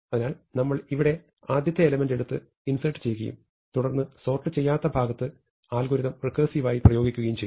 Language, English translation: Malayalam, So, what we do is, we take the first element here and insert it and then we recursively apply the algorithm to the rest of the unsorted portion